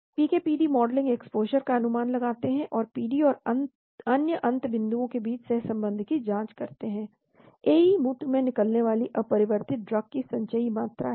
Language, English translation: Hindi, PK/PD modeling estimate exposure and examine correlation between PD and other end points, AE is cumulative amount of unchanged drug excreted into the urine